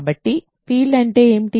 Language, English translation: Telugu, So, recall what is the field